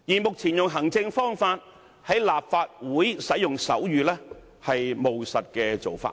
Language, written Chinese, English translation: Cantonese, 目前透過行政方法在立法會使用手語，是務實的做法。, It is a pragmatic approach to use sign language in the Legislative Council now through administrative means